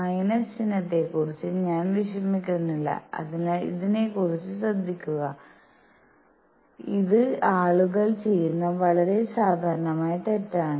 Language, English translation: Malayalam, I am not worrying about the minus sign, so be careful about this; this is a very common mistake that people make